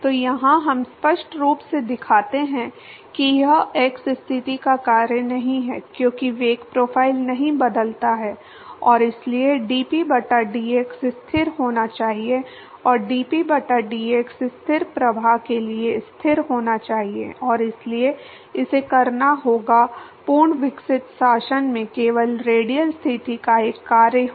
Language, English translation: Hindi, So, here clearly we show that it is not a function of the x position because the velocity profile does not change and so dp by dx has to be constant and dp by dx has to be constant for a steady flow and therefore, it has to be a function of only the radial position in the fully developed regime